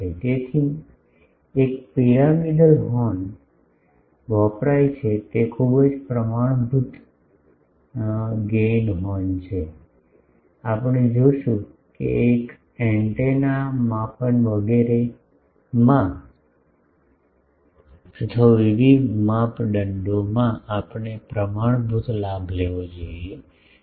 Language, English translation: Gujarati, So, pyramidal horns are used for one is the very thing standard gain horn, we will see that in antenna measurement etc